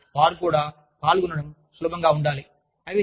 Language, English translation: Telugu, So, they should be, easy to participate in